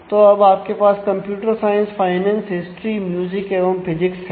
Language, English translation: Hindi, So, you have now computer science, finance, history, music and physics